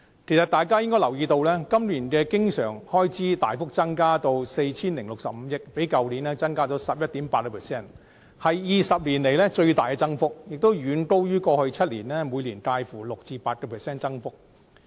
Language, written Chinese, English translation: Cantonese, 其實，大家應該留意到，政府今年的經常性開支大幅增加至 4,065 億元，較去年增加了 11.8%， 是20年來最大增幅，亦遠高於過去7年每年介乎 6% 至 8% 的增幅。, In fact Members should have noted that the Governments recurrent expenditure this year is substantially increased by 11.8 % to 406.5 billion much higher than the increases ranging from 6 % to 8 % in the past seven years